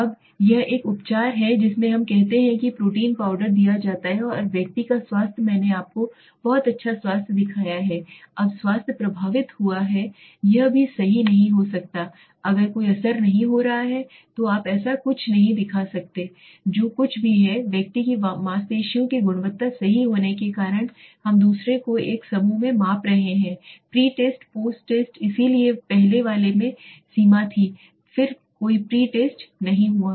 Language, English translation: Hindi, Now this is a treatment let us say a protein powder is given and the health of the person whether I have shown you very good health now the health has affected it might not be correct also it might having no affect then you would have not shown something like it whatever so whatever is happening to the person right his muscle quality that we are measuring here second is one group pre test post test so there was limitation in the earlier one then there was no pre test